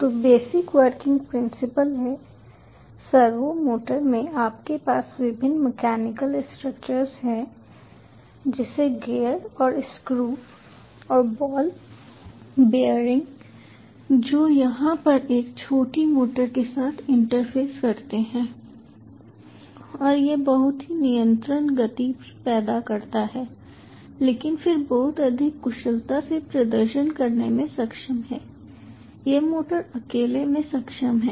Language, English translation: Hindi, in the servo motor you have various mechanical structures like gears and screws and ball bearings which ah interfaced with a small motor over here and this produces very control motion but is able to ah perform much more ah efficiently then this motor alone would have been able to so